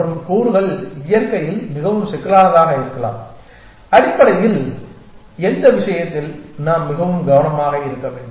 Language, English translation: Tamil, And components may themselves very more complex in nature essentially in which case of course; we have to be very careful